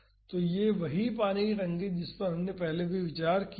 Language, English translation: Hindi, So, this is the same water tank we considered earlier